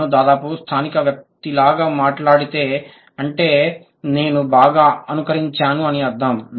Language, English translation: Telugu, If I speak like almost like a native speaker, that means I have imitated it well